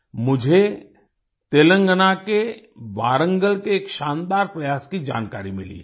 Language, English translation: Hindi, I have come to know of a brilliant effort from Warangal in Telangana